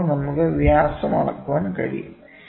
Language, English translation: Malayalam, Then how do we measure the minor diameter